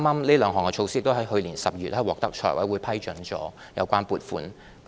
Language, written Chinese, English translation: Cantonese, 這兩項措施剛在去年12月獲得財務委員會批准撥款。, Funding was just approved by the Finance Committee for these two measures in December last year